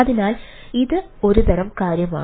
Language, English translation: Malayalam, so this, this is one sort of thing